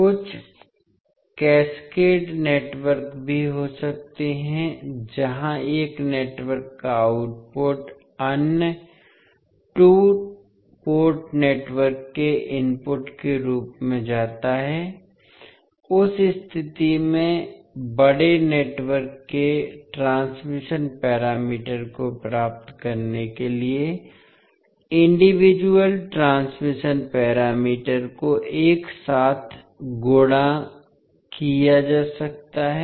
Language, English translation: Hindi, There may be some cascaded networks also where the output of one network goes as an input to other two port network, in that case individual transmission parameters can be multiplied together to get the transmission parameters of the larger network